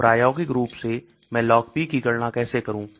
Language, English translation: Hindi, So experimentally how do I calculate Log P